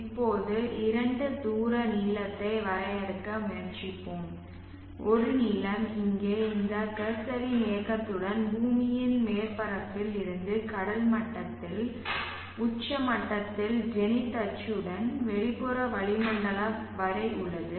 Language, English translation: Tamil, z now let us let us try to define two distances length one length is here just along the movement of these cursor here just along the zenith axis from the surface of the earth at sea level along the zenith access up to the outer atmosphere